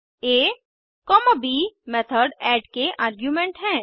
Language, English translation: Hindi, a,b are the arguments of the method add